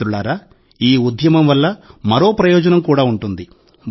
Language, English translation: Telugu, Friends, this campaign shall benefit us in another way